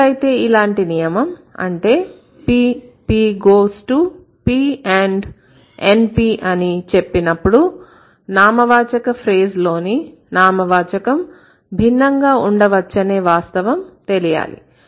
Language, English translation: Telugu, So, this kind of a rule should be like when you say P, P, P goes to P and NP, you should be aware about the fact that this in the form of this NP could be different